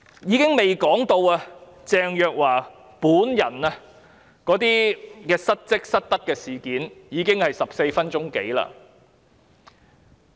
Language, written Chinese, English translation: Cantonese, 我尚未說到鄭若驊本人的失職、失德的事件，但發言時間已超過14分鐘。, I have yet to comment on dereliction of duty and misconduct on the part of Teresa CHENG herself but my speaking time has exceeded 14 minutes